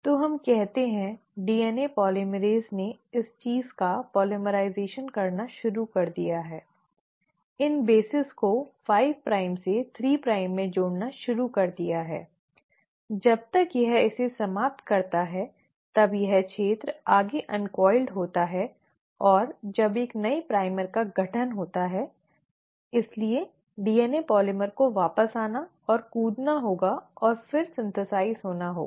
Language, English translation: Hindi, So let us say, the DNA polymerase started polymerising this thing, started adding the bases in the 5 prime to 3 prime direction, by the time it finished it, this region further uncoiled and when a new primer was formed, so the DNA polymer has to come back and jump and then synthesise again